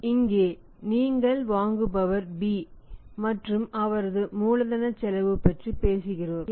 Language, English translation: Tamil, Now here if you talk about the buyers B as a buyer and his cost of capital his cost of capital